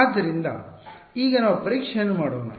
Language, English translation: Kannada, So, let us now let us do testing with